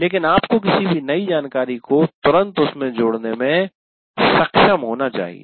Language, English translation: Hindi, But you should be able to immediately link any new information to that